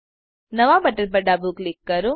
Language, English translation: Gujarati, Left click the new button